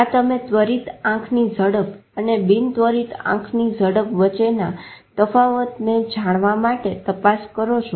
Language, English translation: Gujarati, This you want to check to differentiate between the rapid eye movement and non rapid eye movement